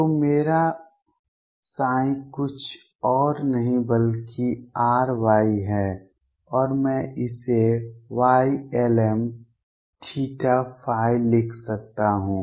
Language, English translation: Hindi, So, my psi is nothing but R Y and I can write this Y lm theta and phi